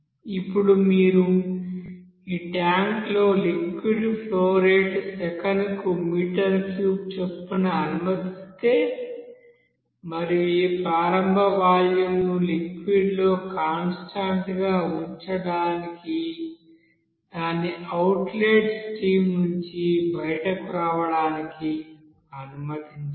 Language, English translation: Telugu, Now if you allow some liquid here in this tank at a certain flow rate of a meter cube per second and you will see to keep this initial you know volume inside the liquid constant, then you have to you know allow it to you know flow out from this outlet stream